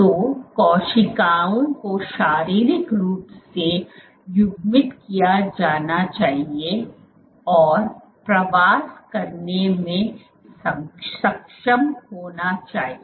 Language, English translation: Hindi, So, the cells should be physically coupled and be able to migrate